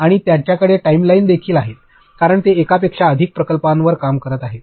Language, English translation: Marathi, And, they also have timelines because they are working on multiple projects